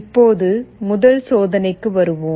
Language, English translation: Tamil, Now, let us come to the first experiment